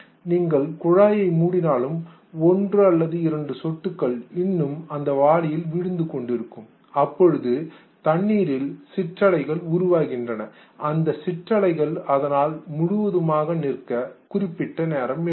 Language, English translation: Tamil, You close the tap and one or two drops still falls in the bucket and you realize that the ripples create in the water, it takes certain time for the ripple to settle down